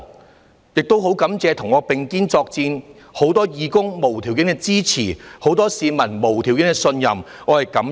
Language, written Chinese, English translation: Cantonese, 我亦感謝與我並肩作戰的多位義工，他們無條件的支持，以及市民無條件的信任，對此我是感恩的。, I must thank the many volunteers who have worked with me . I am grateful for their unconditional support and also the unconditional trust the public have placed on me